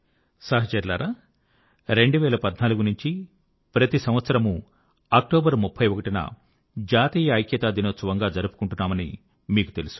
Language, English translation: Telugu, Friends, as you know that 31st October every year since 2014 has been celebrated as 'National Unity Day'